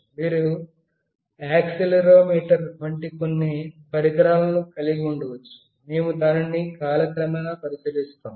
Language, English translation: Telugu, You can have some device like accelerometer, we look into that in course of time